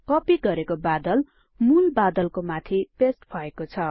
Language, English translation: Nepali, The copied cloud has been pasted on the top of the original cloud